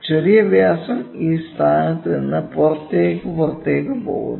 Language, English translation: Malayalam, Minor diameter is going to be from this point, right from this point to the out to the outside